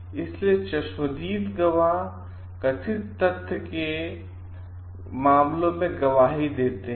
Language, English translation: Hindi, So, eye witnesses testify in matters of perceived facts